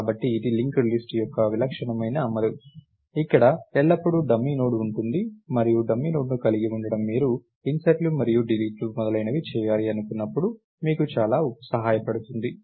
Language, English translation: Telugu, So, this is a typical implementation of a linked list, where there is always a dummy Node and having the having the dummy Node in place helps you a lot when you do inserts and deletes and so, on